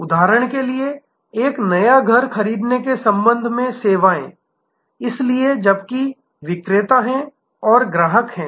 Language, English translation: Hindi, Take for example, the services with respect to buying a new house, so whereas, there is seller and there is customer